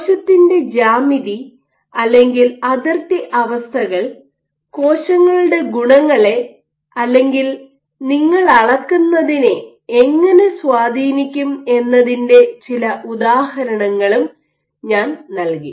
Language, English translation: Malayalam, And in that regard, I also gave a few instances of how geometry of the cell or boundary conditions might influence the properties of cells or what you are measuring